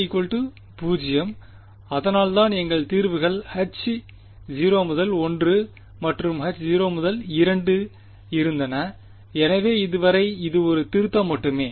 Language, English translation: Tamil, 0 alpha was 0 that is why our solutions was Hankel 0 1 and Hankel 0 2 so, so far this just a revision